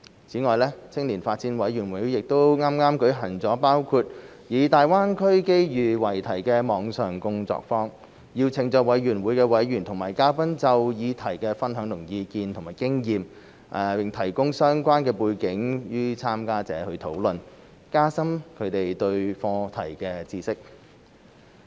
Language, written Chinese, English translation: Cantonese, 此外，青年發展委員會亦剛舉行了包括以"大灣區機遇"為題的網上工作坊，邀請了委員會委員及嘉賓就議題分享意見及經驗，並提供相關背景予參加者討論，加深他們對課題的認識。, In addition the Youth Development Commission has also just held online workshops including one named Opportunities in the Greater Bay Area in which members of the Commission and guests were invited to share their views and experience concerning the topic and the relevant background was provided to the participants for their discussion so as to deepen their understanding about the topic